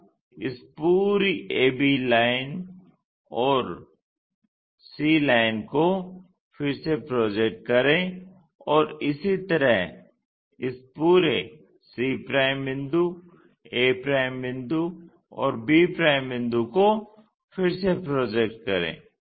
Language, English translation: Hindi, Now, re project this entire a b lines and c line and similarly re project this entire c points a points and b points